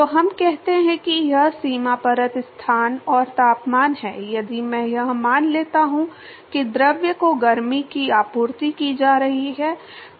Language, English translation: Hindi, So, let us say that this is the boundary layer location and the temperature if I assume that the heat is being supplied to the fluid